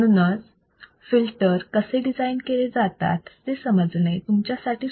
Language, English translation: Marathi, So, it will be easier for you to understand how we can design the filters